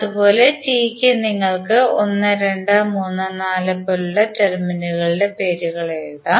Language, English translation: Malayalam, And similarly for T also, you can write the names of the terminals like 1, 2, 3, 4